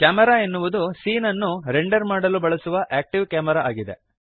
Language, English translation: Kannada, Camera is the active camera used for rendering the scene